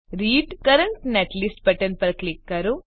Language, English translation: Gujarati, Click on Read Current Netlist button